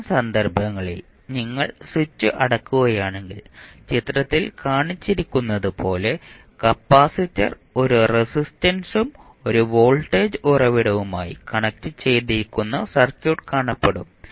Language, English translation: Malayalam, So, what will happen in that case if you close the switch the equivalent circuit will look like as shown in the figure where you have a capacitor connected then you have the resistance and again one voltage source